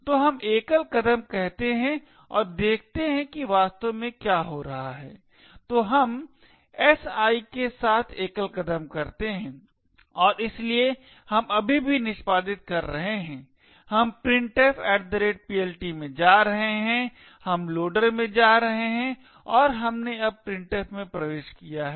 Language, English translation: Hindi, So let us say single step and see what exactly is happening, so we single step with si and so we are still executing we are going into printf@PLT, we are going into loader and we have now entered into printf